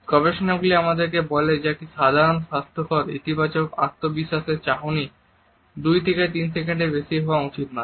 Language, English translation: Bengali, Researches tell us that a normal healthy and positive confident gaze should not be more than 2 or 3 seconds